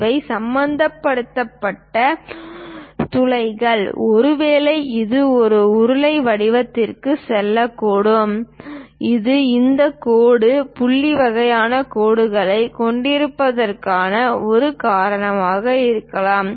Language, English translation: Tamil, These are holes involved and perhaps it might be going into cylindrical shape that is a reason we have this dash dot kind of lines